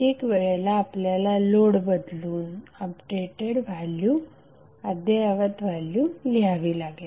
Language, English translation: Marathi, You have to just simply change the load and find out the updated value